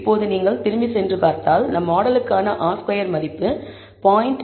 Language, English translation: Tamil, Now if you go back and see, the R squared value for our model is 0